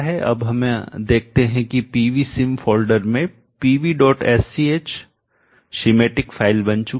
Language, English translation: Hindi, Now we see that in the pv sim folder the schematic file P V